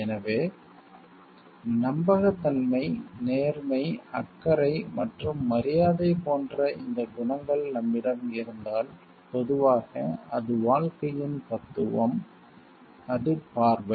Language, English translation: Tamil, So, if we have these qualities like trustworthiness, fairness, caring and respect generally it is the philosophy of life it is the view